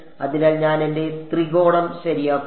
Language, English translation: Malayalam, So, I take my triangle ok